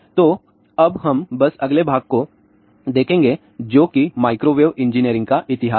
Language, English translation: Hindi, So, now let us just look at the next part which is history of microwave engineering